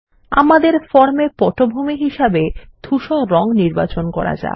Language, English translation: Bengali, Let us choose Grey as the form background